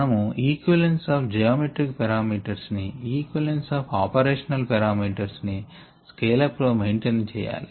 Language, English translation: Telugu, we said that we need to maintain the equivalence of geometric parameters and the equivalence of operational parameters during scale up